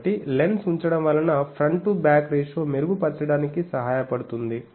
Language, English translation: Telugu, So, putting the lens helps that front to back ratio is input